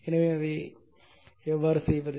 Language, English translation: Tamil, So, how you will do it